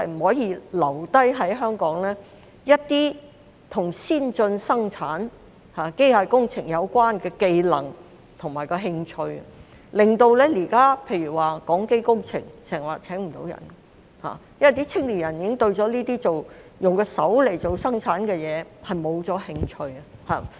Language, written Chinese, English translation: Cantonese, 第二，一些與先進生產機械工程有關的技能和興趣在社會上流失，令到現時例如港機工程經常聘請不到人手，因為青年人已經對這些用手生產的工作失去興趣。, Moreover there has been a loss of skills and interest in advanced mechanical engineering in society . Consequently now companies such as Hong Kong Aircraft Engineering Company Limited HAECO are often unable to recruit manpower as young people have lost interest in manual production work